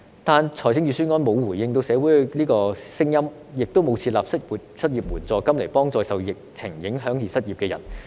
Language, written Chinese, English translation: Cantonese, 可是，預算案沒有回應社會的聲音，也沒有設立失業援助金來幫助受疫情影響而失業的人。, However the Budget has not responded to the voices of the society nor has it proposed to establish an unemployment assistance fund to help people who became unemployed because of the epidemic